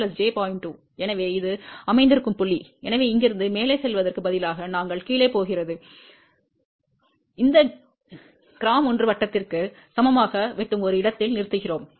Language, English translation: Tamil, 2, so this is the point which has been located, so from here instead of a going up, we are going down, we stop at a point where it cuts this g equal to 1 circle up